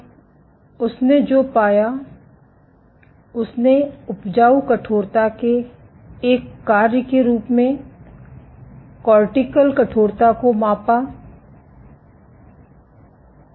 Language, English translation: Hindi, Now, what he found he measured the cortical stiffness as a function of substrate stiffness and what he found